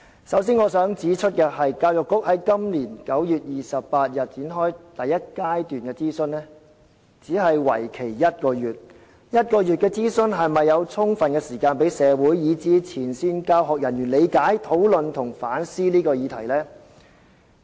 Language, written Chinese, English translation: Cantonese, 首先，我想指出，教育局今年9月28日展開中史課程第一階段諮詢，但為期短短1個月的諮詢能否給予社會及前線教育人員充分時間，理解、討論和反思這個議題？, First of all I would like to say that the Education Bureau launched the first stage consultation on the Chinese History curriculum on 28 September this year . However can a one - month consultation give the community and frontline education personnel sufficient time to understand discuss and reflect on this issue?